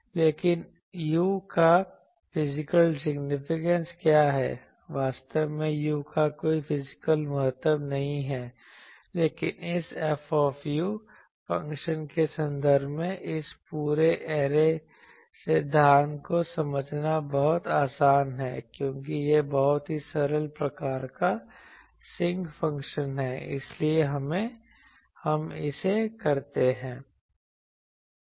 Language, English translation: Hindi, But, what is the physical significance of u, actually there is no physical significance of u, but it is very easy to understand this whole array theory in terms of this F u function, because this becomes very simple that Sinc type of function it comes that is why we do it